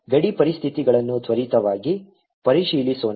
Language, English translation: Kannada, let's check the boundary conditions quickly